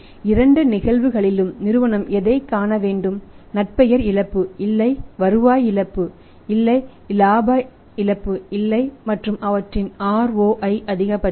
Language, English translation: Tamil, In both the cases company has to see that there is no loss of reputation there is no loss of revenue there is no loss of profitability and their ROI is maximized